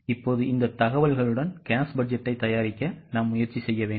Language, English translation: Tamil, Now with this much of information, try to prepare a cash budget